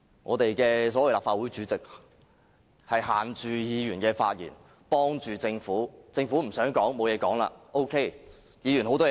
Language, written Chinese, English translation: Cantonese, 我們的所謂立法會主席限制議員發言，袒護政府，當政府不想發言時 ，OK； 議員有很多話想說？, This so - called President of the Legislative Council has put restrictions on Members wanting to speak . He has sought to protect the Government . He did not say anything when the Government refused to reply